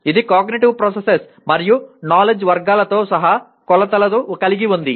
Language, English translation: Telugu, It has dimensions including Cognitive Processes and Knowledge Categories